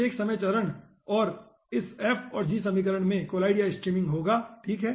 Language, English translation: Hindi, okay, each time step this f and g equations will be collideandstream, okay